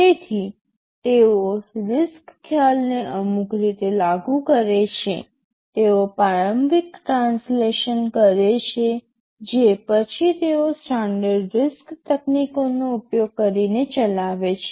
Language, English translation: Gujarati, So, they also implement RISC concepts in some way, they make an initial translation after which they execute using standard RISC techniques, RISC instruction execution techniques right